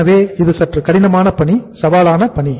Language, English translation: Tamil, So it is a bit say difficult task, is a challenging task